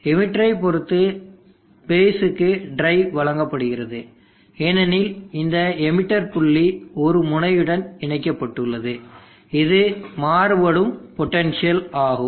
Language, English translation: Tamil, The drive is given to the base with respect to the emitter, because this emitter point, is connected to a node which is varying in potential